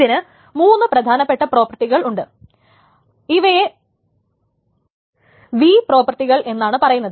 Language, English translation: Malayalam, So the big data has this typical properties which are called the V's, the V properties